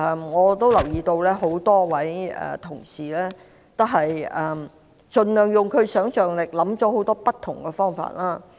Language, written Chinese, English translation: Cantonese, 我留意到很多同事運用其想象力，想出很多不同方法。, I have noticed that many colleagues used their imagination to come up with various methods